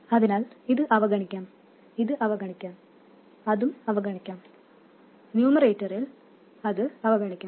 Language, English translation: Malayalam, So, this can be neglected, this can be neglected, that can be neglected, and in the numerator that can be neglected